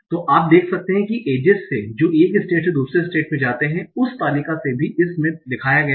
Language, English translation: Hindi, So you can see that from the ages that go from one state to another state, also from the table that is shown in this